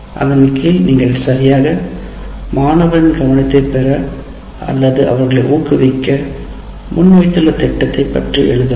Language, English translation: Tamil, Under that you have to write what exactly are you planning to present for getting the attention of the student or motivate them to learn this